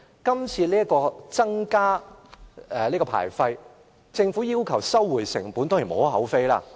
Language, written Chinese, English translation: Cantonese, 今次增加牌費，政府要求收回成本，當然無可厚非。, The Government wants to recover the cost by increasing the licence fees